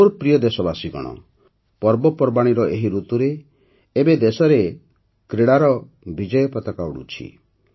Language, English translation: Odia, My dear countrymen, during this festive season, at this time in the country, the flag of sports is also flying high